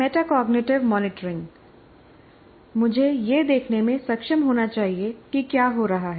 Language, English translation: Hindi, Now coming to metacognitive monitoring, I should be able to observe what is happening